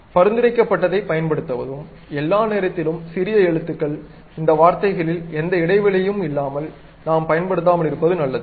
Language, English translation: Tamil, Use recommended is all all the time lower case letters, better not to use any space in these words what we are using